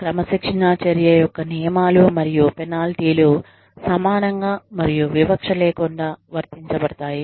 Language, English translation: Telugu, Where the rules, orders, and penalties, of the disciplinary action, applied evenhandedly, and without discrimination